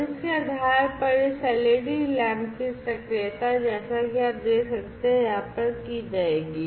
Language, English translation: Hindi, And based on that and actuation of this led lamp, as you can see over here will be done